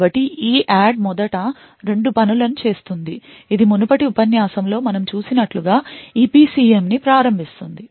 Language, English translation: Telugu, So EADD will do 2 things first it will initialize the EPCM as we have seen in the previous lecture